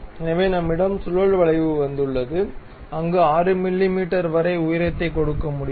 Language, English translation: Tamil, So, we have the spiral curve where we can really give height up to 6 mm